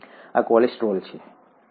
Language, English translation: Gujarati, This is cholesterol, right